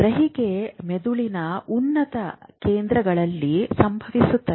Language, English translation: Kannada, So, perception happens in the higher centers of the brain